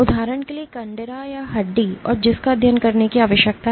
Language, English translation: Hindi, For example, the tendon or bone and which need to be study